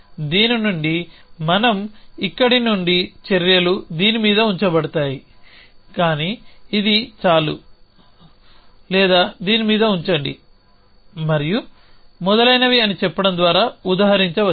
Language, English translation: Telugu, From this we can illustrate by saying that from here the actions are either put it on this are either put it either put it on this and so on and so